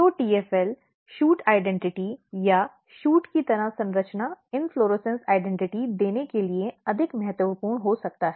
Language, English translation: Hindi, So, TFL is may be more important for giving shoot identity or shoot like structure inflorescence identity